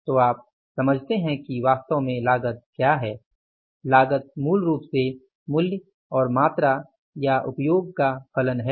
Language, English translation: Hindi, Cost is basically the function of price and the quantity or the usage